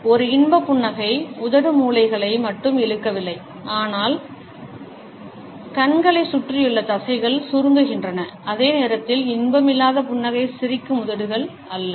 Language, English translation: Tamil, An enjoyment smile, not only lip corners pulled up, but the muscles around the eyes are contracted, while non enjoyment smiles no just smiling lips